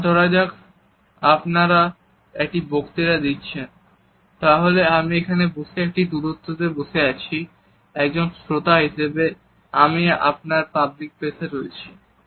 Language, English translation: Bengali, Let us say you are giving a speech, then I would be sitting here in a distance as an audience I am in your public space